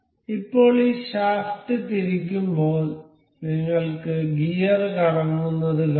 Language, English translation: Malayalam, So, now on rotating this shaft you can see the gear rotating